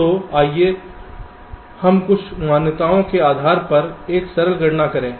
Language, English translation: Hindi, so let us make a simple calculation based on some assumptions